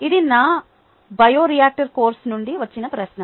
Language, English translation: Telugu, ok, this is a question from my bioreactor course